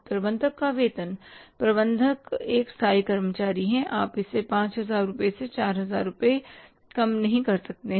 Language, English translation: Hindi, Manager sadly manager is a permanent employee you can reduce from 5,000 to 4,000 rupees that is not possible